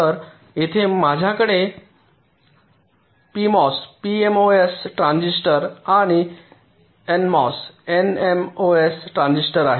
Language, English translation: Marathi, so here i have a p mos transistor and n mos transistor